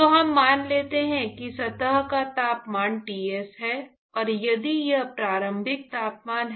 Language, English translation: Hindi, So, supposing we assume that the temperature of the surface is Ts, and if we assume that the initial temperature